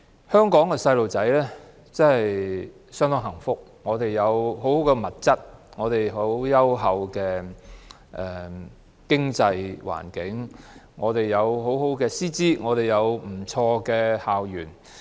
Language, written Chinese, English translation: Cantonese, 香港的小朋友相當幸福，他們有豐富的物質、優厚的經濟環境、良好的師資及不俗的校園。, The children in Hong Kong are really blessed with their abundance of resources strong economic environment high - quality teachers and nice campuses